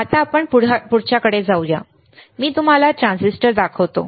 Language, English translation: Marathi, Now, let us go to the next one, I show you transistor